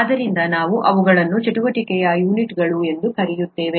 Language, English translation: Kannada, So we settle for something called units of activity